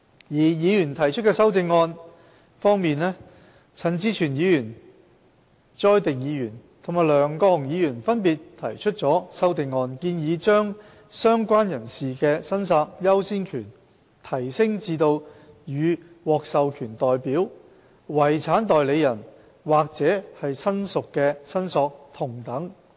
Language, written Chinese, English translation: Cantonese, 而議員提出的修正案方面，陳志全議員、朱凱廸議員及梁國雄議員分別提出了修正案，建議把"相關人士"的申索優先權提升至與獲授權代表、遺產代理人或親屬的申索同等。, As for the amendments proposed by Members Mr CHAN Chi - chuen Mr CHU Hoi - dick and Mr LEUNG Kwok - hung have respectively proposed amendments seeking to escalate the priority of claims of a related person to the same level as that of an authorized representative and a personal representative or relative